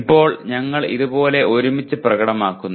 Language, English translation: Malayalam, Now we produce it together like this